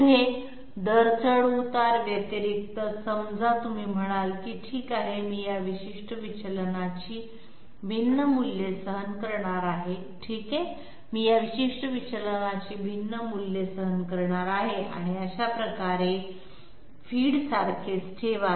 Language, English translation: Marathi, Next, so apart from the rate fluctuation suppose you say that okay I am going to tolerate different values of this particular deviation okay, I am going to tolerate different values of this particular deviation and that way keep feed to be the same